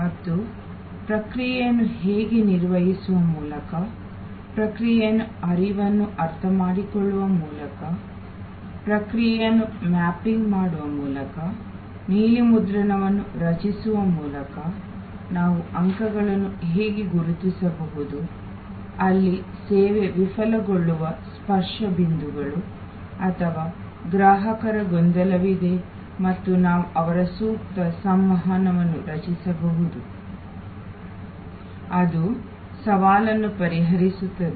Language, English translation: Kannada, And we also discussed, how by managing the process, the service process by understanding the process flow, by mapping the process, by creating the blue print, how we can identify points, where the touch points where the service may fail or the customer may have confusion and therefore, we can create their suitable communication, that will resolve the challenge